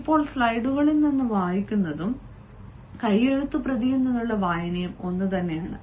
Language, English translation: Malayalam, now, reading from the slides and reading from the manuscript is one and the same thing